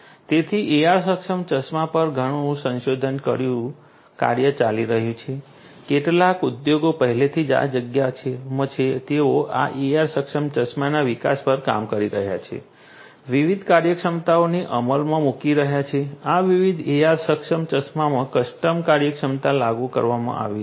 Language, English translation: Gujarati, So, AR enabled glasses you know lot of research work is going on some industries are already in this space they are working on development of these AR enabled glasses, implementing different different functionalities, custom functionalities are implemented in these different different AR enabled glasses